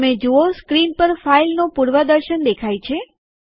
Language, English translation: Gujarati, You see that the preview of the file on the screen